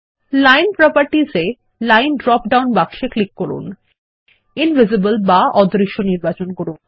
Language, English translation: Bengali, In Line properties, click on the Style drop down box and select Invisible